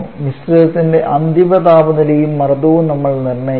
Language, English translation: Malayalam, We have to determine the final temperature and pressure of the mixture